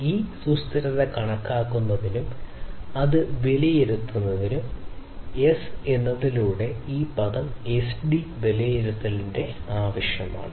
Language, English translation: Malayalam, So, in order to estimate this sustainability and assess it, it is required to evaluate this term S over SD, ok